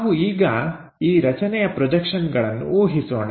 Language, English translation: Kannada, Let us guess projections for this object